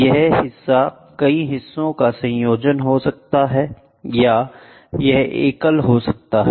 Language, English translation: Hindi, This member can be a combination of several member or it can be a single member